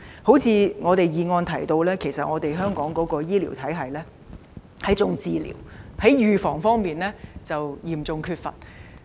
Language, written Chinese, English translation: Cantonese, 正如議案所提及，香港的醫療體系以治療為主，預防工作則嚴重不足。, As mentioned in the motion the healthcare system in Hong Kong has tilted towards the provision of medical treatment and there has been a serious lack of preventive healthcare services